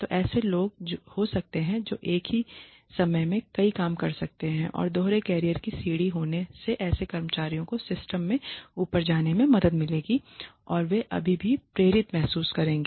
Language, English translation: Hindi, So, there could be people who could do several things at the same time and having dual career ladders would help such employees go up in the system and still feel motivated